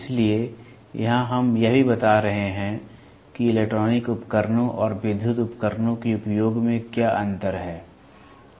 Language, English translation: Hindi, So, here we are even distinguishing what is the difference of using the electronic devices and the electrical devices